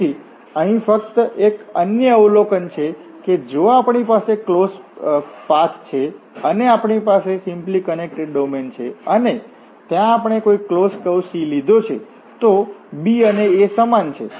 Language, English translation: Gujarati, So, here just another observation that if we have a closed path, we have the simply connected domain and there we have taken a closed path C, so, what will happen here the b and a are the same the initial and the endpoints are same